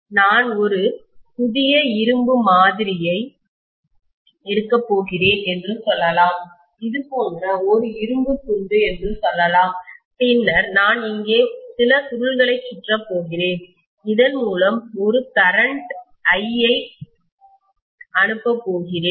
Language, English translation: Tamil, And let us say it is just a piece of iron like this and then I am going to wind some coil around here and I am going to pass a current of I through this